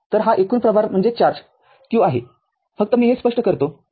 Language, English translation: Marathi, So, this total charge q just let me let me clear it right